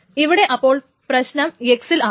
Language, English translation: Malayalam, Now, the problem is with this X